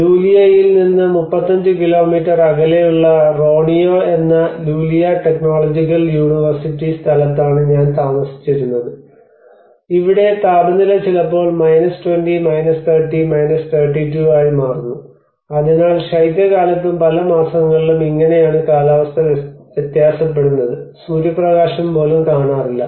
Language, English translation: Malayalam, I used to live in Lulea Technological University place called Roneo which is 35 kilometres from Lulea, and here the temperature goes off to sometimes 20, 30, 32 so this is how the variance in the winter times and many of the months we do not see even the sunlight